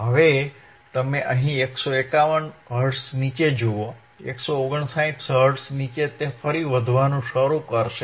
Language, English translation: Gujarati, Now you see here below 151 Hertz, below 159 Hertz it will again start increasing